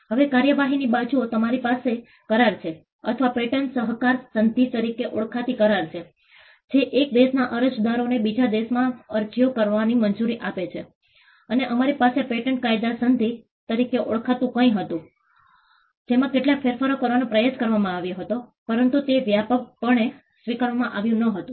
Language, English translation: Gujarati, Now, on the procedural side, we have an agreement called the or the treaty called the patent cooperation treaty which allows applicants from one country to file applications in another country and we also had something called the patent law treaty, which tried to make some changes, but it was not widely accepted